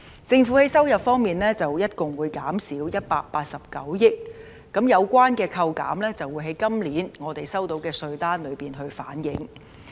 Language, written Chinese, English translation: Cantonese, 政府在收入方面會減少共189億元，而有關的扣減將會在我們本年收到的稅單中反映。, The Government will receive 18.9 billion less in its revenue and the deduction amount will be reflected in the tax demand note issued to people this year